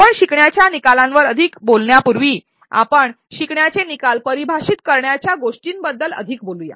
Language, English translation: Marathi, Before we talk more on the learning outcomes that is talk more as to why do we will want to define the learning outcomes